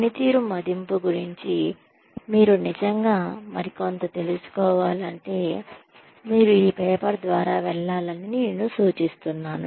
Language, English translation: Telugu, I suggest that, if you really want to know more about performance appraisal, you should go through this paper